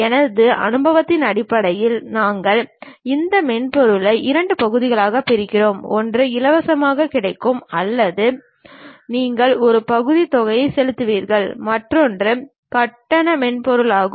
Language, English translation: Tamil, Based on my experience, we are dividing these softwares into two parts, one freely available or you pay a very partial amount and other one is paid software